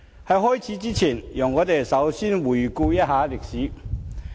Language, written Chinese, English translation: Cantonese, 在開始前，讓我們先回顧歷史。, Before I begin let us first look back at history